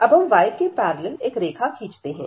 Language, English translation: Hindi, So, now draw the line parallel to the y axis